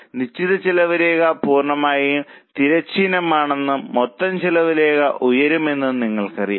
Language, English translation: Malayalam, You know that fixed cost line is totally horizontal and total cost line goes up